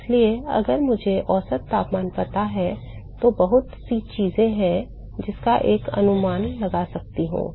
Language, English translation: Hindi, So, if I know the mean temperature, there are lots of thing that I can estimate